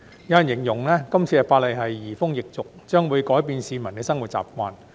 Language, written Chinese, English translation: Cantonese, 有人形容這次法例是移風易俗，將會改變市民的生活習慣。, Some say that the present legislation will bring about changes in customs and the lifestyle practices of the public